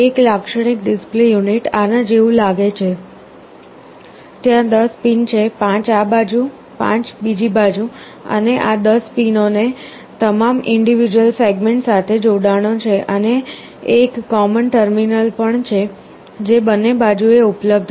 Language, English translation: Gujarati, A typical display unit looks like this; there are 10 pins, 5 on this side, 5 on the other side, and these 10 pins have connections to all the individual segments and also there is a common terminal, which is available on both the sides